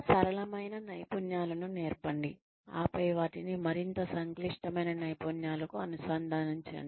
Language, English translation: Telugu, Teach simpler skills, and then integrate them, into more complex skills